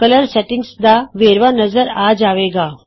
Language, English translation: Punjabi, The Color Settings details appears